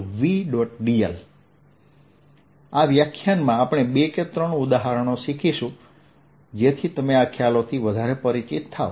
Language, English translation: Gujarati, in this lecture we are going to look at two or three examples so that you get familiar with these concepts